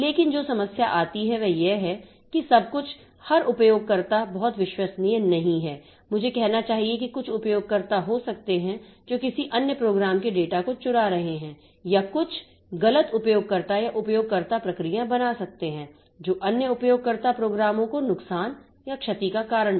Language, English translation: Hindi, But the problem that comes is that everything is every user is not very I should say they may there may be some users who are trying to steal the data of some other program or there may be some misbehaving users or user processes that are created that tries to cause damage to the damage to the system or damage to other user programs